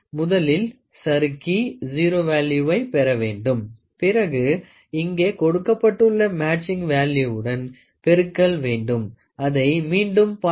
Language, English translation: Tamil, First slide get the 0 value and then we see a matching value multiplied with some factor which is given here